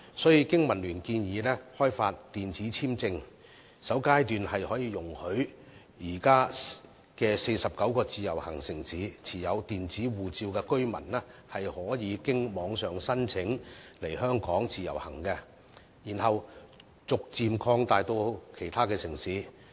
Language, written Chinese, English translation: Cantonese, 所以，經民聯建議開發電子簽證，在首階段容許現時49個自由行城市中持有電子護照的居民，可以經由網上申請來港自由行，然後逐漸擴及其他城市。, Therefore BPA suggests developing e - visa . At the initial stage e - passport holders from the existing 49 IVS cities are allowed to come to Hong Kong under IVS via online application with a view to gradually extending this arrangement to other cities